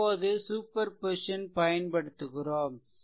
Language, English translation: Tamil, Now superposition we are applying